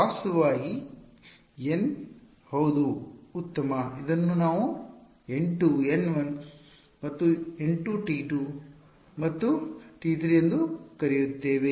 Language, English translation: Kannada, Actually N yeah fine we just call it N 2 N 1 and N 2 T 2 and T 3